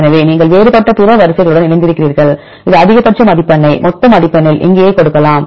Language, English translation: Tamil, So, you aligned with the different other sequences right you can give this maximum score right in the total score right here